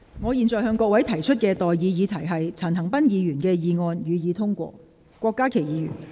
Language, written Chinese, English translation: Cantonese, 我現在向各位提出的待議議題是：陳恒鑌議員動議的議案，予以通過。, I now propose the question to you and that is That the motion moved by Mr CHAN Han - pan be passed